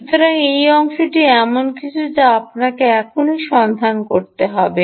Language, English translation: Bengali, so that part is something you will have to look up just now